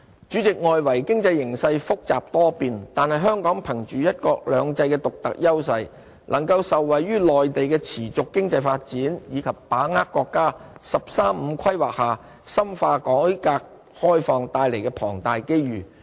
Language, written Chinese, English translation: Cantonese, 主席，外圍經濟形勢複雜多變，但香港憑着"一國兩制"的獨特優勢，能夠受惠於內地的持續經濟發展，以及把握國家"十三五"規劃下深化改革開放帶來的龐大機遇。, President despite the complexities and unpredictable nature of the external environment Hong Kong is able to leverage the unique advantages of one country two systems benefiting from the Mainlands continuous economic development and seize the enormous opportunities brought by intensification of the countrys reform and opening under the National 13 Five - Year Plan